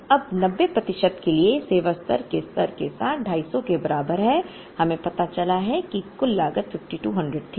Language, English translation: Hindi, Now, for a 90 percent service level with reorder level is equal to 250, we found out that the total cost was 5200